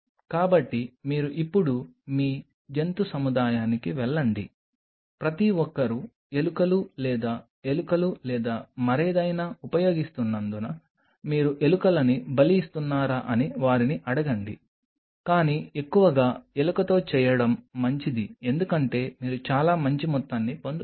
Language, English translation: Telugu, So, you just go to your animal facility now ask them do are you sacrificing rats because everybody uses rats or mice or something, but mostly it is good to do with the rat because you get quite a good amount